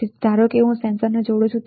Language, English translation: Gujarati, So, suppose I connect a sensor here